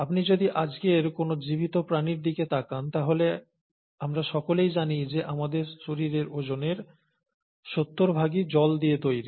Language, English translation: Bengali, If you were to look at any living organism as of today, we all know that our, seventy percent of our body weight is made up of water